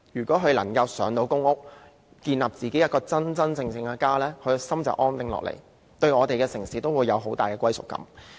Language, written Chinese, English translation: Cantonese, 市民能夠"上"公屋，建立自己真正的家，心便會安定下來，對我們的城市也會有更大的歸屬感。, If people can be allocated PRH flats and truly build a home for themselves they will feel secure and so develop a greater sense of belonging to our city